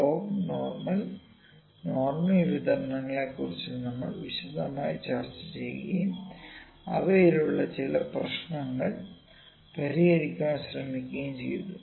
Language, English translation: Malayalam, We will discuss in log, but the normal distribution in detail and try to solve some problems with them